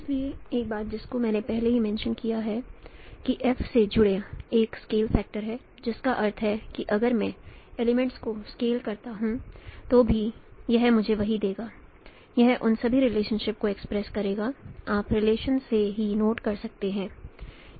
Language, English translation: Hindi, So, one thing I already mentioned that there is a scale factor associated with F, which means if I scale the elements still it will give me the same, it will express all those relationships